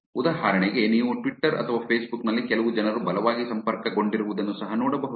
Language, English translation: Kannada, For example, you could also see in twitter or in facebook that some people are very strongly connected